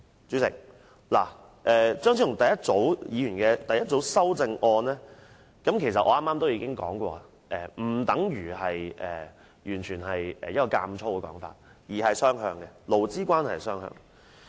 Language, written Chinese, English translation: Cantonese, 主席，張超雄議員第一組修正案我剛才已提過，當中建議並無強加於僱主的意圖，而是容許勞資關係雙向發展。, Chairman I have talked about Dr Fernando CHEUNGs first group of amendments . The proposed amendments do not intend to impose any pressure on employers but facilitate interaction between employers and employees